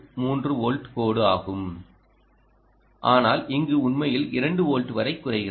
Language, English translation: Tamil, this line, indeed, is the three point three volt line ah, it actually dip down to two volts